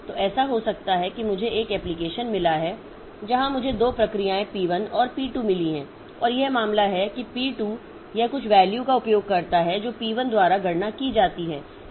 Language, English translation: Hindi, So, it may so happen that I have got an application where I have got two processes, P1 and P2, and it is the case that this P1, this P2, it uses some value which is computed by P1